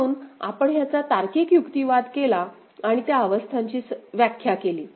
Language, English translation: Marathi, So, we made a logical argument of the case and defined those states right